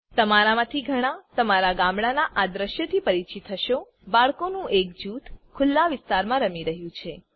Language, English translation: Gujarati, Many of you are familiar with this scene in your village a group of children playing in an open area